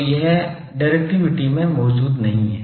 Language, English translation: Hindi, So, that is not present in the directivity thing